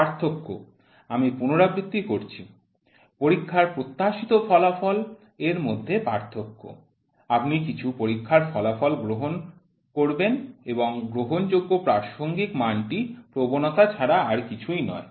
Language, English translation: Bengali, The difference, I repeat, the difference between the expectation of the test result; you accept some test result and an accepted reference value is nothing, but bias